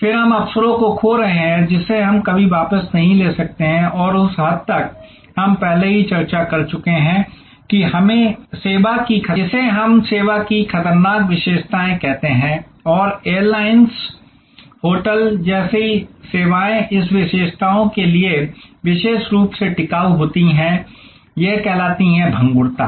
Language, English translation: Hindi, Then, we are losing opportunities, which we can never get back and to that extent we are discussed earlier that this is what we call the perishable characteristics of service and these services like airlines, hotels are particularly sustainable to this characteristics, this perishability